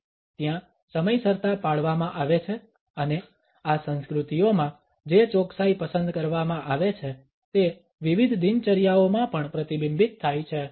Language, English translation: Gujarati, The punctuality which is practiced over there and the precision which is preferred in these cultures is reflected in various routines also